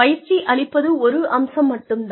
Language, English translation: Tamil, Imparting training is just one aspect